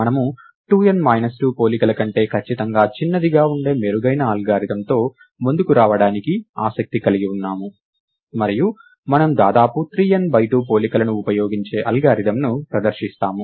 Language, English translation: Telugu, We are interested in coming up with a better algorithm which uses strictly smaller than 2 n minus 2 comparisons, and we present an algorithm which uses at most 3 n by 2 comparisons